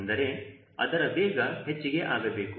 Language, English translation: Kannada, means the speed has to increase